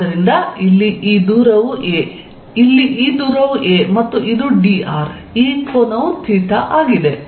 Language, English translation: Kannada, So, this distance here is a, this distance here is a and this is d r, this angle is theta